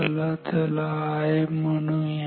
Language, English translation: Marathi, So, let us write it as an I ok